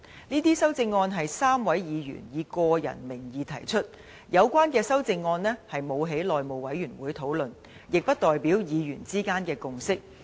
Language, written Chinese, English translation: Cantonese, 這些修正案是3位議員以個人名義提出，有關修正案並未經內務委員會討論，亦不代表議員之間的共識。, These amendments which are proposed by the three Members in their personal capacity have not been discussed by the House Committee and do not represent a consensus reached among Members